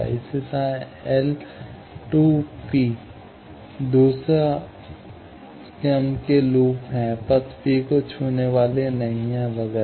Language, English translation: Hindi, Similarly, L 2 P, second order loop not touching path P, etcetera